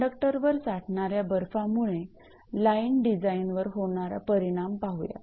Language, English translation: Marathi, Now, accumulation of ice on the line conductor has the following effects on the line design